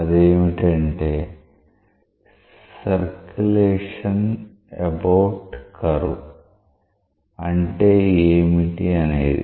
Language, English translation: Telugu, That is, what is the circulation about the curve